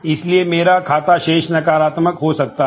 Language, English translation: Hindi, So, my account balance might note negative